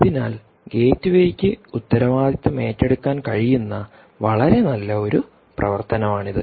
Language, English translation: Malayalam, so this is one very nice function that the gateway can ah, essentially take responsibility of